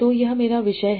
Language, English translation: Hindi, So what are my topics